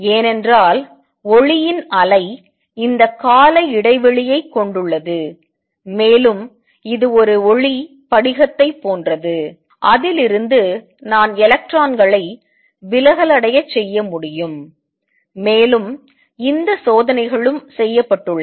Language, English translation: Tamil, Because standing wave of light have this periodicity, and this is like a light crystal from which I can diffract electrons and these experiments have also been performed